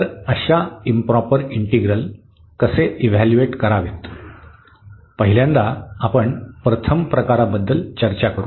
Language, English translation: Marathi, So, how to evaluate such improper integrals, for first we will discuss for the first kind